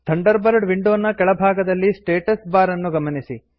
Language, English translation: Kannada, Note the status bar at the bottom of the Thunderbird window